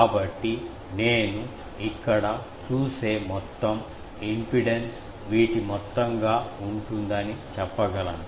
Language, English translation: Telugu, So, I can say that total impedance that I will see here will be sum of these